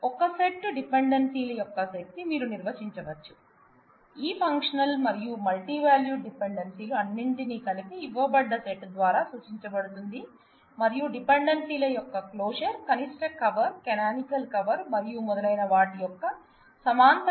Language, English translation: Telugu, Given a set of dependencies you can define a closure of all of these functional and multivalued dependencies together, that are implied by the given set and we can have all those parallel definitions of closure of the dependencies, the minimal cover, canonical cover and so on